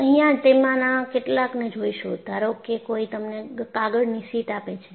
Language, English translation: Gujarati, You would see some of them:See, suppose, somebody gives you a sheet of paper